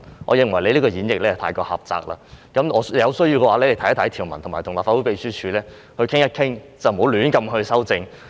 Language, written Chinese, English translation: Cantonese, 我認為你這個演繹太過狹窄，有需要的話，你可以參閱相關條文，並與立法會秘書處商討，不要胡亂修正。, I consider your interpretation too narrow . If necessary you can refer to the relevant provisions and discuss with the Legislative Council Secretariat . You should not make arbitrary amendments